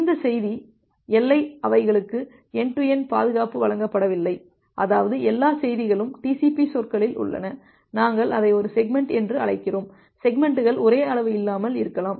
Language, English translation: Tamil, And this message boundary they are not provided preserved end to end; that means, all the messages are in TCP terms we call it as a segment that we have looked into, the segments may not be of the same size